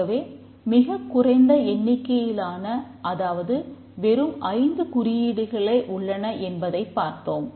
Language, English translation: Tamil, So, we just saw that the number of symbols are very small, only five symbols